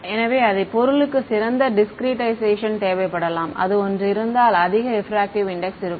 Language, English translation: Tamil, So, the same object may need a better discretization; if it had a higher refractive index ok